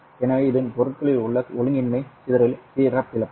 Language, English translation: Tamil, So this is a characteristic of the anomalous dispersion in the materials